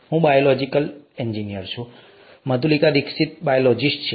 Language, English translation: Gujarati, I am a biological engineer, Madhulika Dixit is a biologist